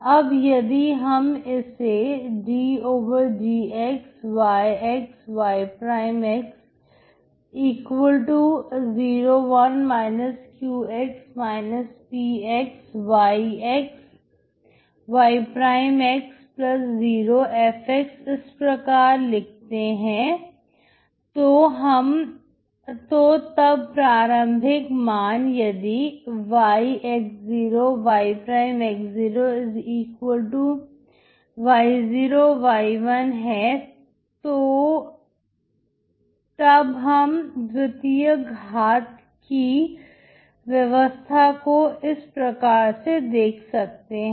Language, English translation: Hindi, So if you write it as d dx [y y']=[0 1 −q −p][y f ] with the initial value being[y y']=[y0 y']+[0 view the second order system like this